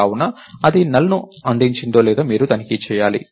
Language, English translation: Telugu, Therefore, you have to check whether it returned NULL or not